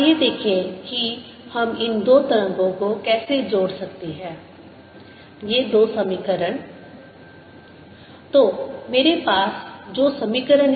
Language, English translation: Hindi, let us see how we can combine these two waves, these two equations